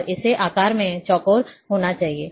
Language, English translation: Hindi, And it has to be square in shape